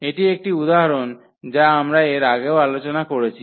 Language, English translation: Bengali, So, this was the one example which we have already discussed before